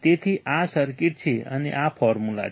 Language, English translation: Gujarati, So, this is the circuit and this is the formula